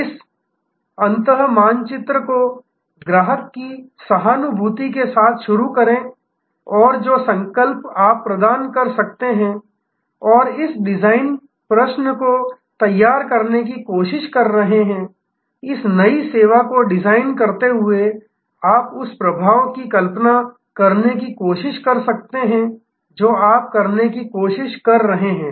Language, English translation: Hindi, So, start from this end map with empathy the customer pain and what resolution you can provide and in trying to frame this design question, designing this new service, you can also try to visualize the impact that you are trying to have